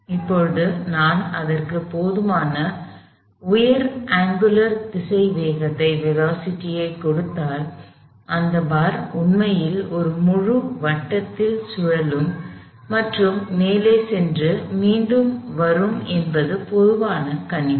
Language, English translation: Tamil, Now, if I give it as a sufficiently high angular velocity, this is a common observation that this bar would actually do a full circle and so it would go all the way up to the top and come back